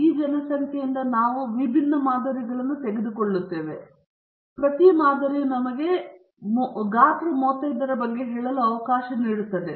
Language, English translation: Kannada, We take different samples from this population, and each sample is let us saying of size 35